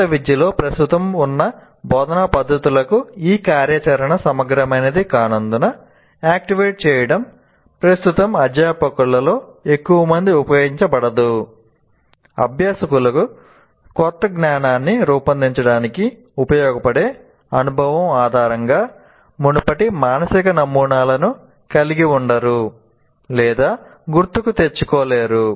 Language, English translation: Telugu, So learners, because that activity is not integral to any of the present practices of instruction in higher education, as activating is not used by majority of the faculty at present, learners lack or may not recall previous mental models based on experience that can be used to structure the new knowledge